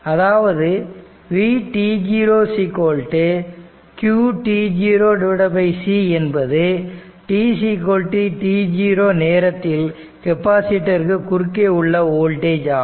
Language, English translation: Tamil, So that means, v t 0 is equal to qt 0 by c is the voltage across the capacitor at time t 0